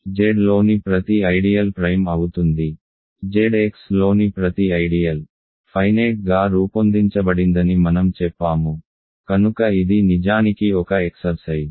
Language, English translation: Telugu, Every ideal in Z is principal every ideal in Z X, I said is finitely generated, so that is actually an exercise